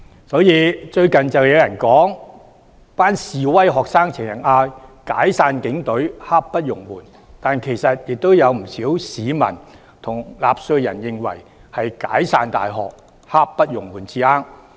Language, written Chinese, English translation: Cantonese, 所以，最近有人說，示威學生經常高呼"解散警隊，刻不容緩"，但其實不少市民和納稅人均認為是"解散大學，刻不容緩"才對。, Hence some people say that instead of Disband the Police Force now a slogan that the protesting students often chant many people and taxpayers think that the slogan should be Disband the universities now